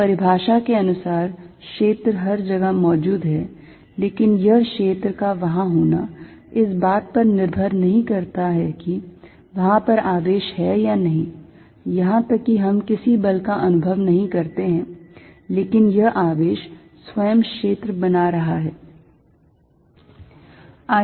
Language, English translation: Hindi, So, by definition field exists everywhere, but that field exist independent of whether the charges there or not, even that we do not feel any force this charge by itself is creating a field